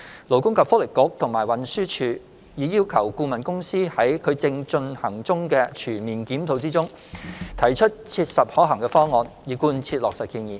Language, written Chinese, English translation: Cantonese, 勞工及福利局和運輸署已要求顧問公司在其正進行的全面檢討中，提出切實可行方案以貫徹落實建議。, The Labour and Welfare Bureau and Transport Department have requested the consultancy firm to come up with practical options for full implementation of the proposal in their ongoing comprehensive review